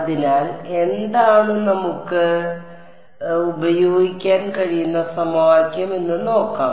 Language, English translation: Malayalam, So, what is the let us see what is the equation that we can use